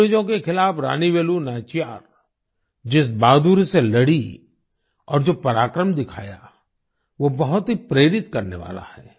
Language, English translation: Hindi, The bravery with which Rani Velu Nachiyar fought against the British and the valour she displayed is very inspiring